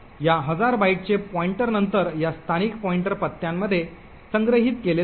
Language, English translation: Marathi, The pointer to this thousand bytes is then stored in this local pointer address